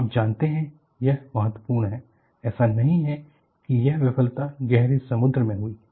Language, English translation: Hindi, You know this is what is important; it is not that this failure has happened in heavy sea